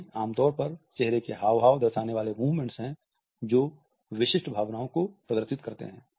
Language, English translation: Hindi, So, they are the movements, usually facial gestures which display specific emotion